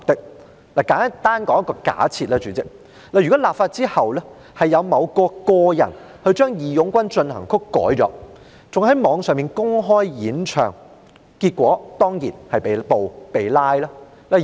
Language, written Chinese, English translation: Cantonese, 讓我簡單作一個假設，如果立法後，某人將"義勇軍進行曲"修改，甚至在互聯網上公開演唱，結果當然是被拘捕。, Let me make a simple assumption . If after the Bill is enacted a person made changes to March of the Volunteers and even sang it openly on the Internet certainly he would be arrested as a result